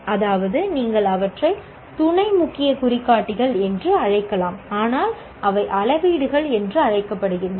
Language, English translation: Tamil, That means there are seven, you can call them sub key indicators, but it's called, they are called metrics